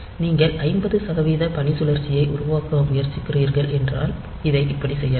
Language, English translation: Tamil, So, if you are trying to generate a wave of duty cycle 50 percent, then we can do it like this